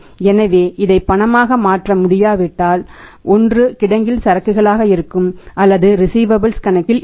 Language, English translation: Tamil, So, if it is not possible to be converted into cash what will be either it is inventory in the warehouse or accounts receivable